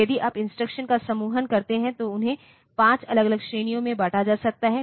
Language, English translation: Hindi, And if you do a grouping of the instructions they can be grouped into 5 different categories